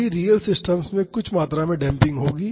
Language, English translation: Hindi, All real systems will have some amount of damping